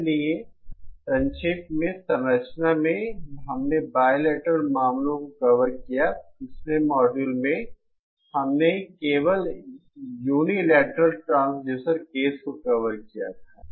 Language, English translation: Hindi, So, in summary, in the structure, we covered the bilateral cases, in the previous module, we had covered only the unilateral transducer gain case